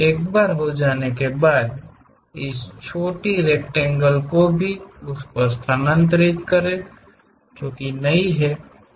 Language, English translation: Hindi, Once done, transfer this small rectangle also, which is not there